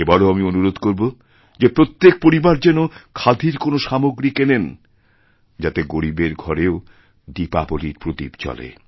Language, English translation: Bengali, This year also I request that each family should buy one or the other khadi item so that the poor may also be able to light an earthen lamp and celebrate Diwali